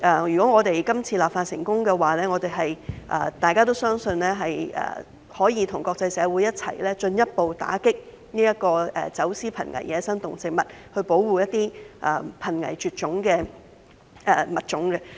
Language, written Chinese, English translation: Cantonese, 如果我們今次立法成功，大家都相信可以與國際社會共同進一步打擊走私瀕危野生動植物，保護一些瀕危絕種的物種。, If the current legislation exercise is successful it is believed that we will be able to work with the international community to further combat the smuggling of endangered wildlife and protect endangered species